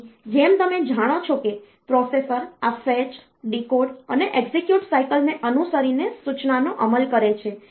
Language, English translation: Gujarati, So, as you know that this processor executes the instruction by following this is fetch, decode, execute cycle